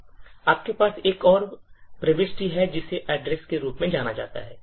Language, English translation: Hindi, You have another entry which is known as the address